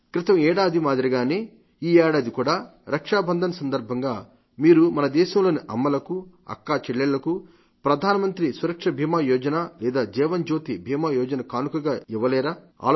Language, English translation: Telugu, Just like last year, can't you gift on the occasion of Raksha Bandhan Pradhan Mantri Suraksha Bima Yojna or Jeevan Jyoti Bima Yojna to mothers and sisters of our country